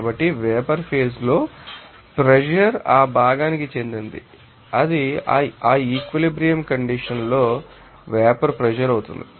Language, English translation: Telugu, So, in the vapor phase that you know, pressure will be of that component it will be vapor pressure at that equilibrium condition